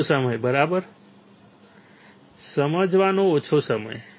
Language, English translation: Gujarati, less time right, less time to understand